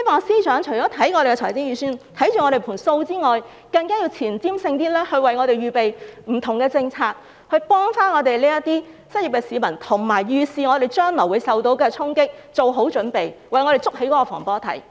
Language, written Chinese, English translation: Cantonese, 司長除要檢視財政預算這盤帳目外，更須具前瞻性，為我們預備不同的政策，協助這些失業的市民，並預示本港將會受到的衝擊，為此作好準備，為我們築起防火堤。, Apart from keeping an eye on the balance sheet the Financial Secretary should also be more forward - looking and formulate various policies to help the unemployed . He should foresee the severe blow Hong Kong will suffer make preparation for this and set up a fire wall for Hong Kong